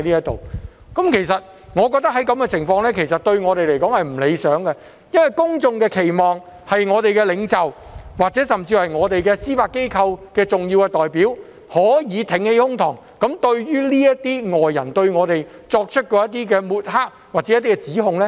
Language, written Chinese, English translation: Cantonese, 對我們而言，這種情況並不理想，因為公眾的期望是，我們的領袖，甚至司法機構的重要代表，可以挺起胸膛嚴正駁斥外人的抹黑或指控。, This situation is not ideal in our opinion because the public expect our leaders or key representatives of the judiciary to hold their heads up high and sternly refute the smearing or accusations by outsiders